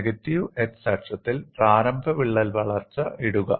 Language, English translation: Malayalam, On the negative x axis, you have the initial crack